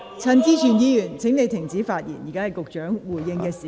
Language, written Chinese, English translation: Cantonese, 陳志全議員，請停止發言，現在是局長回應的時間。, Mr CHAN Chi - chuen please stop speaking . This is the time for the Secretary to respond